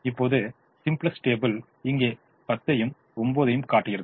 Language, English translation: Tamil, the simplex table shows a ten here and a nine here